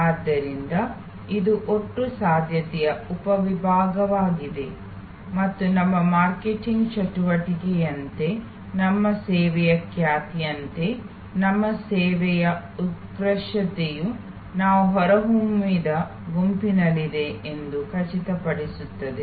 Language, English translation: Kannada, So, it is a subset of the total possibility and it is important that as our marketing activity, our service reputation, our service excellence ensures that we are within the evoked set